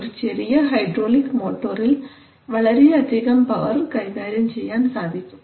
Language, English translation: Malayalam, So in a small hydraulic motor you can handle a lot of power